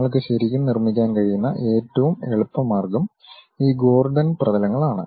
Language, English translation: Malayalam, Then the easiest way what you can really construct is this Gordon surfaces